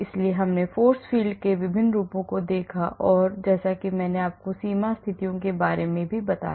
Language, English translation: Hindi, So, we looked at different forms of force field and then I also mentioned about boundary conditions